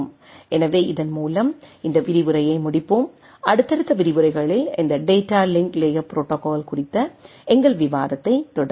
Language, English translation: Tamil, So, with this let us let us conclude this lecture and we will be continuing our discussion on this data link layer protocols in our subsequent lectures